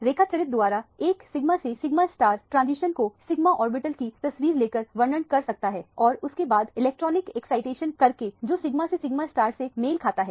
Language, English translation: Hindi, Diagrammatically or pictorially one can represent the sigma to sigma star transition by taking the picture of the sigma orbital and then doing an electronic excitation which corresponds to the sigma to sigma star